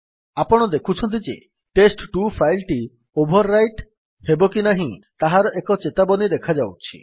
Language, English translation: Odia, As you can see, a warning is provided asking whether test2 should be overwritten or not